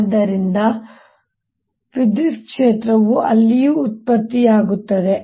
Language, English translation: Kannada, so that means electrical generator there also